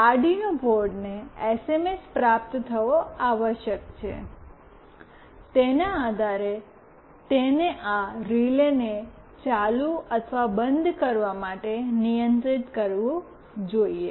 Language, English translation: Gujarati, The Arduino board must receive the SMS, depending on which it should control this relay to make it ON or OFF